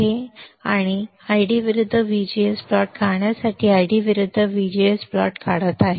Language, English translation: Marathi, Now I am drawing ID versus VGS plot for drawing ID versus VGS plot